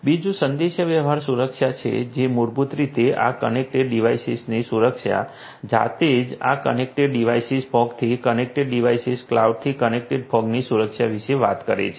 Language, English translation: Gujarati, The second is the communication security which is basically talking about you know security of these connected devices, these connected devices themselves, connected devices to the fog, connected fog to cloud